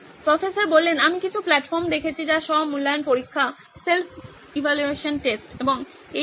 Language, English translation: Bengali, I have seen some platforms with self evaluation tests and all that